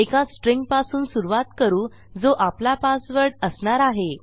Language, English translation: Marathi, Ill start by predefining a string thats going to be my password